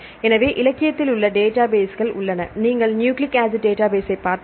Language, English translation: Tamil, So, there are several database available in the literature, that for if you look into the nucleic acid database issue